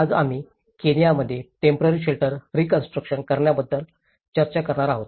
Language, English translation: Marathi, Today, we are going to discuss about temporary shelter reconstruction in Kenya